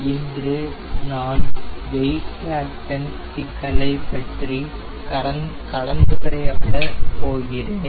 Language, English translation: Tamil, today i will discuss about the problem of weight fraction